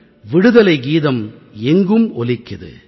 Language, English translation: Tamil, The freedom song resonates